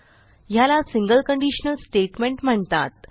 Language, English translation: Marathi, It is called a single conditional statement